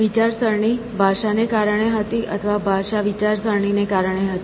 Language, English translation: Gujarati, So, he was thinking because of the language or was language was because of the thinking